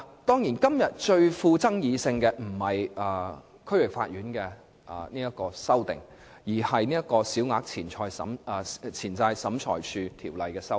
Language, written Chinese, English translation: Cantonese, 當然，今天最富爭議性的不是有關區域法院的修訂，而是《小額錢債審裁處條例》的修訂。, The most controversial issue of today is surely not the amendments related to the District Court but those made to the Small Claims Tribunal Ordinance